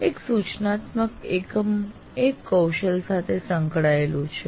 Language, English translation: Gujarati, And one instructional unit is associated with one competency